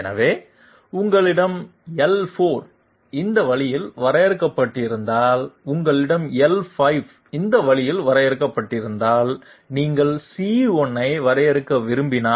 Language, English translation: Tamil, So if we have L4 let s take a fresh page, if you have L4 defined this way, if you have L5 defined this way and you want to define C1